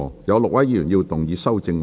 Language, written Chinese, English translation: Cantonese, 有6位議員要動議修正案。, Six Members will move amendments to this motion